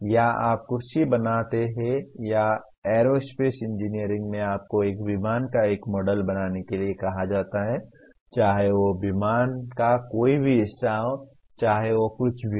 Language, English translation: Hindi, Or you create the chair or in aerospace engineering you are asked to create a let us say a model of a plane, whatever part of a plane, whatever it is